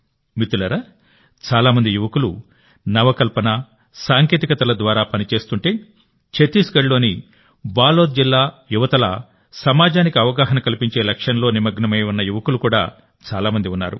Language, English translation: Telugu, Friends, if many youths are working through innovation and technology, there are many youths who are also engaged in the mission of making the society aware, like the youth of Balod district in Chhattisgarh